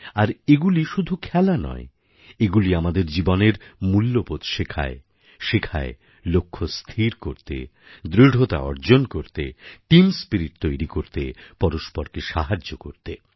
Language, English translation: Bengali, Games are not just games; they teach us values in life, such as, setting targets, building up determination, developing team spirit and fostering mutual cooperation